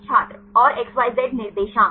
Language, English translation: Hindi, And XYZ coordinates